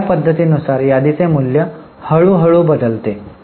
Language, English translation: Marathi, So, under this method, the value of inventory slowly changes